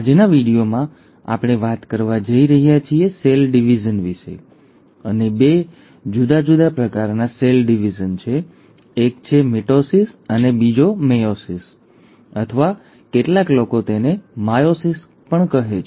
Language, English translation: Gujarati, In today’s video, we are going to talk about cell division, and there are two different kinds of cell divisions, and one is mitosis and the other is meiosis, or ‘Myosis’ as some people call it